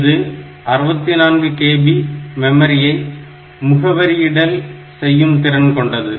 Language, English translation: Tamil, With it is capable of addressing 64 kilo of memory